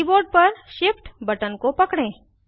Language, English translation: Hindi, Hold the Shift button on the keyboard